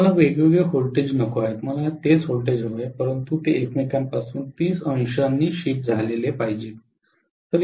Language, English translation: Marathi, I do not want to have different voltages, I want to have the same voltages, but they are 30 degree shifted from each other